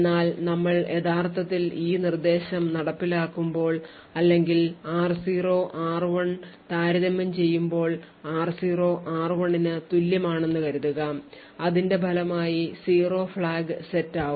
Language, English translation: Malayalam, Now when we actually execute this instruction or compare r0, r1 and let us assume that r0 is equal to r1 as a result the 0 flag is set